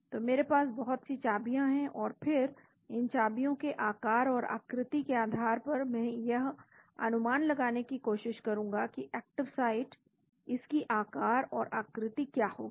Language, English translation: Hindi, So, I have lot of keys and so based on the keys shape and size I will try to predict what will be the active site, shape and size